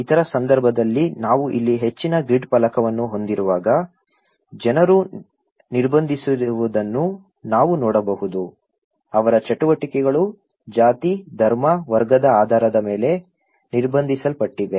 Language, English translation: Kannada, In other case, where extreme we have high grid panel here, we can see that people are restricted; their activities are restricted based on caste, creed, class